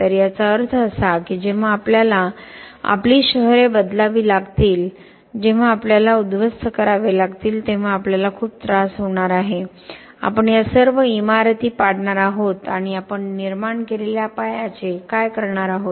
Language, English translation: Marathi, So this means that when we have to change our cities, when we have to demolish we are going to have a lot of trouble, we are going to bring down all this buildings and what are we going to do with the base that we have generate when we have demolition